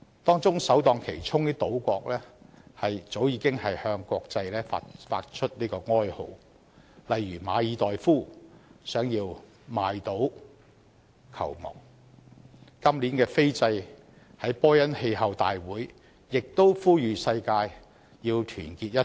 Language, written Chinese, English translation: Cantonese, 當中首當其衝的島國早已向國際發出哀號，例如馬爾代夫希望買島救亡、今年斐濟在波恩氣候大會亦呼籲世界團結一致。, Among the affected places the island countries that are the first to bear the brunt have long let out a wail to the international community . For instance the Maldives hope to save themselves by purchasing islands and Fiji also appealed for unity in the world at the climate meeting in Bonn